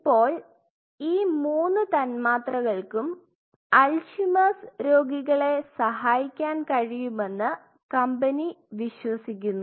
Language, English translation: Malayalam, Now, these three molecules the company believes could influence or could help in those Alzheimer patients